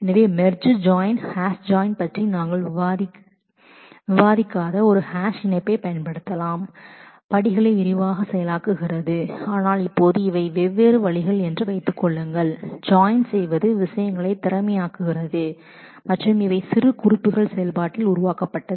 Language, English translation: Tamil, So, we can use a hash join on that we did not discuss about merge join, hash join as processing steps in detail, but right now just assume that these are different ways of doing join which can make things efficient and these are the annotations which are generated in the process